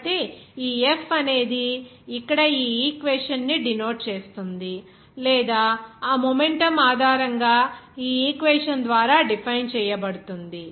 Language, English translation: Telugu, So, this F will be denoted by here this equation or defined by this equation based on that momentum